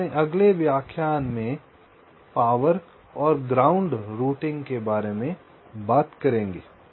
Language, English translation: Hindi, in our next lecture we shall be talking about power and ground routing